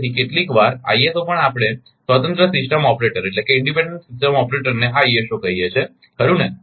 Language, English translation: Gujarati, So, sometimes ISO we call independent system operator right this ISO